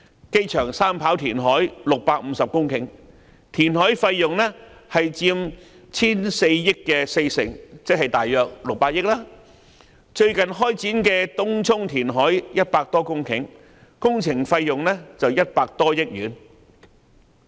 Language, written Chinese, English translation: Cantonese, 機場三跑填海650公頃，填海費用佔 1,400 億元的四成，即約億元，而最近開展的東涌填海多公頃，工程費用為100多億元。, The reclamation expenditure on creating 650 hectares of land for constructing a third airport runway accounts for 40 % of the total expenditure of 140 billion that is around 60 billion . The recently commenced Tung Chung reclamation project for creating some 100 hectares of land has incurred a works cost of around 10 billion